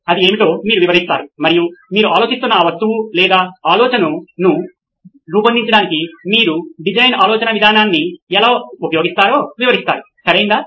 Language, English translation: Telugu, You describe what that is and you describe how you would use a design thinking approach to design that object or idea that you are thinking about, right